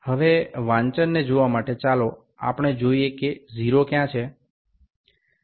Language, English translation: Gujarati, Now to see the readings, let us see what is the 0